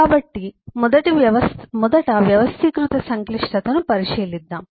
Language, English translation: Telugu, let us take a look into the organized complexity